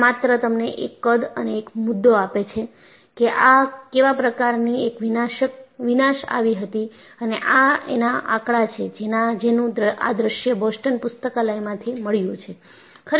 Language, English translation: Gujarati, Just to give you a rough size and this also gives you, an idea of what is the kind of devastation that occurred and this figure, courtesy, is from Boston library